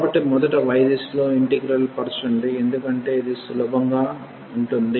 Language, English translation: Telugu, So, let us integrate first in the direction of y because that will be easier